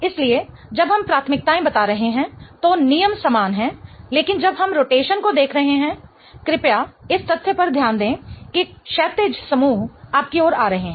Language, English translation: Hindi, So, when we are assigning the priorities, the rules are the same but when we are looking at the rotation, please pay attention to the fact that horizontal groups are coming towards you